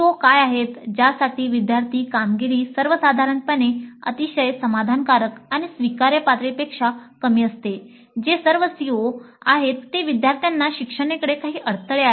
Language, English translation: Marathi, What are the COs with regard to which the student performance is in general very satisfactory or satisfactory or below acceptable levels which are all the COs where the students have certain bottlenecks towards learning